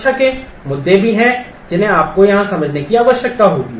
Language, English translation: Hindi, There are security issues also that you will need to understand here